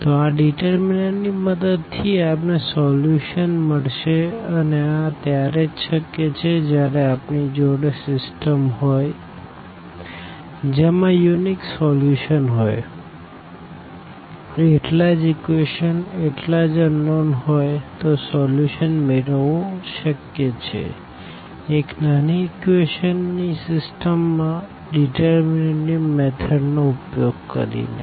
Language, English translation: Gujarati, So, with the help of this determinant we get the solution and this is possible when we have a system where a unique solution exists, the same equation the number of equations the same as the number of unknowns and the system has a unique solution in that case this is possible to get the solution of a rather smaller system of equations using this method of determinants